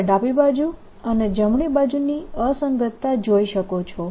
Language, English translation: Gujarati, you see the inconsistency of the left hand side and the right hand side